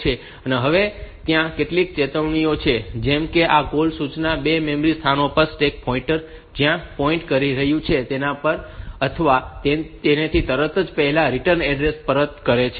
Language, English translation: Gujarati, Now there are some cautions like this call instruction places return address at the 2 memory locations immediately before or at the stack pointer is pointing